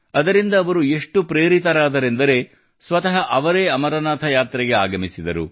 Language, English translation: Kannada, They got so inspired that they themselves came for the Amarnath Yatra